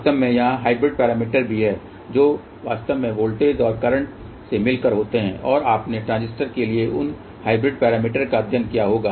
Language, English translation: Hindi, In fact, there are hybrid parameters are also there which actually consist of voltages and currents and you might have studied those hybrid parameters for transistors